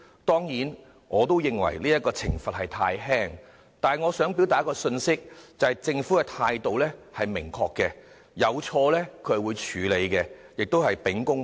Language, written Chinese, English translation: Cantonese, 當然，我也認為懲罰太輕，但我想表達一個信息，便是政府在事件上的態度很明確：有錯必會處理，而且秉公辦事。, Certainly I also consider the punishment too lenient . Yet I would like to strike home the message that the Government has adopted a definite attitude in the incident Improper practices must be dealt with to uphold justice